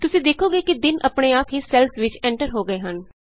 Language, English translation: Punjabi, You see that the days are automatically entered into the cells